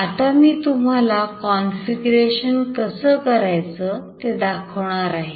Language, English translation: Marathi, Now I will be showing you the configuration